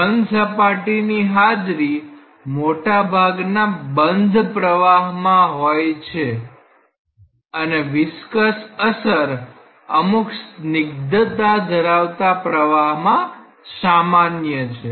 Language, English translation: Gujarati, Presence of a solid boundary is there in many wall bounded flows and viscous effects are common for fluids with some substantial viscosity